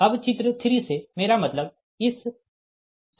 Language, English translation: Hindi, now, from figure three, i mean from this equation, it is a